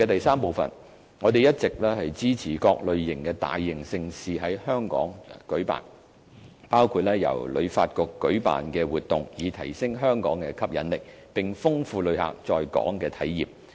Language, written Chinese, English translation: Cantonese, 三我們一直支持各類型的大型盛事在港舉辦，包括由旅發局舉辦的活動，以提升香港的吸引力，並豐富旅客在港的體驗。, 3 We have all along been supporting the staging of various types of major events in Hong Kong including those organized by HKTB to enhance the tourism appeal of Hong Kong and enrich the experience of visitors